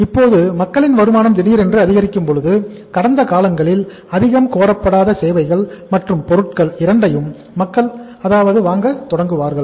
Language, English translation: Tamil, Now when there is a sudden increase in the income of the people, people start demanding for even both services and goods which are not demanded much in the past